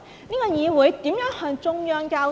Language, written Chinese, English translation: Cantonese, 這個議會如何向中央交代？, How could it be accountable to the Central Government?